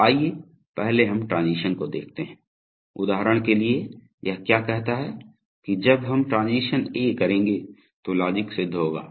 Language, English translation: Hindi, So let us first see the transition body, for example, what does it say, it says that if when we will transition A logic will be satisfied